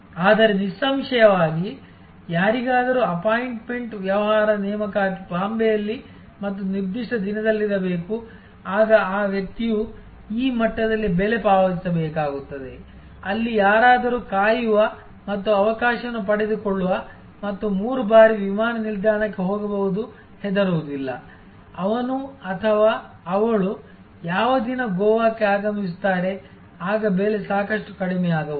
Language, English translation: Kannada, But obviously, somebody has an a appointment business appointment has to be in Bombay and certain particular day, then that person will have to pay price at this level, where as price somebody who can wait and take chance and go to the airport three times and does not care, which day he or she arrives in Goa, then the price can be quite low